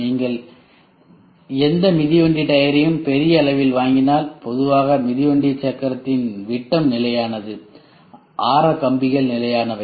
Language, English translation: Tamil, If you buy any cycle tire to a large extent the general one the cycle tire diameter is constant the spokes are constant